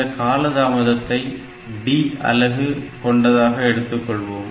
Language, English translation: Tamil, So, it has got a delay of D unit